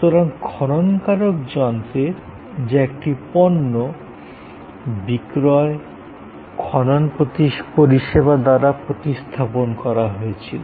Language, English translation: Bengali, So, the sale of the excavation machine, excavator machine as a product was replaced by excavation service